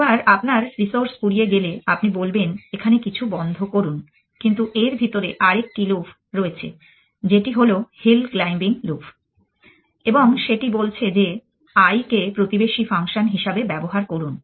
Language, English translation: Bengali, Once you run out of resource is you say stop something here, but inside this is a another loaf which is the hill claiming loaf and that is saying use the I as neighborhood function